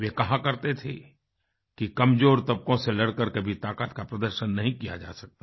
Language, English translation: Hindi, He used to preach that strength cannot be demonstrated by fighting against the weaker sections